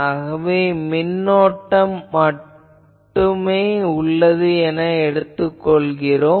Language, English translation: Tamil, So, we assume that there is only electric current